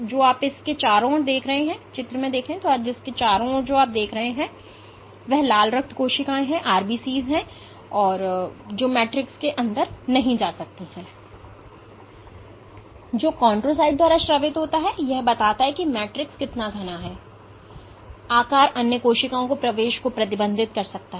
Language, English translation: Hindi, What you see around it are red blood cells which cannot get inside the matrix, which is secreted by the chondrocyte it suggests that the matrix is so dense, that the pore size does not limit or can restrict entry of other cells